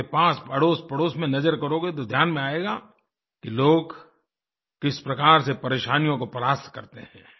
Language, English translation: Hindi, If you observe in your neighbourhood, then you will witness for yourselves how people overcome the difficulties in their lives